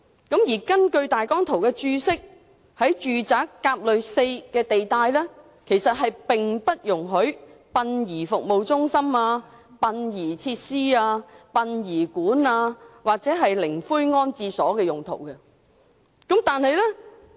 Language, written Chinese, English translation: Cantonese, 根據大綱圖的《註釋》，"甲類 4" 地帶並不容許作殯儀服務中心、殯儀設施、殯儀館或靈灰安置所用途。, According to the Notes to the Plan no funeral service centres funeral facilities funeral parlours or columbaria are permitted in RA4 zone